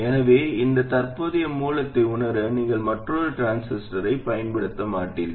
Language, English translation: Tamil, So, you would not use another transistor to realize this current source